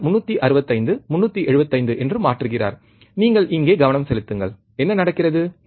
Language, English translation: Tamil, He is changing 365, 375 you focus on here what happens